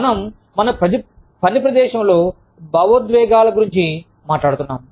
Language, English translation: Telugu, We are talking about, our emotions in the workplace